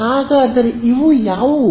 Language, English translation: Kannada, So, what are these